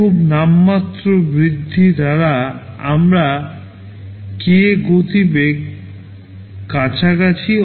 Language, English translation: Bengali, By very nominal increase in cost we are achieving close to k speed up